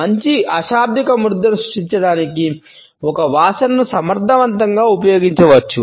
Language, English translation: Telugu, A smell can thus be used effectively to create a good non verbal impression